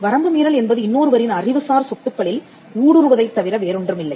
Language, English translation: Tamil, Infringement is nothing but trespass into the intellectual property owned by a person